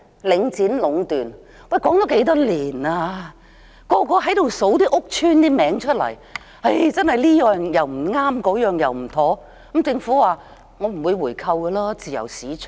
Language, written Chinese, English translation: Cantonese, 領展壟斷的問題已討論多年，每個人都說出屋邨的名稱，指出這樣不對，那樣不妥，但政府說不會回購，因為是自由市場。, Everyone has read out the names of public housing estates pointing out this is wrong and that is inappropriate but the Government has indicated that it will not buy it back as ours is a free market